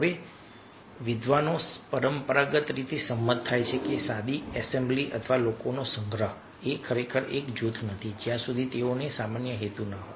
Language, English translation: Gujarati, now a scholars traditionally agree that a simple assembly or collection of people is not really a group unless they have a common purpose